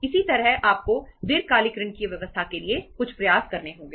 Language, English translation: Hindi, Similarly, you have to make some efforts for the arranging the long term loans